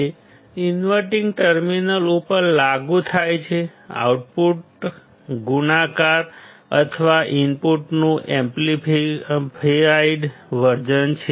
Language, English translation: Gujarati, It is applied to the inverting terminal input, output will be multiplied or the amplified version of the input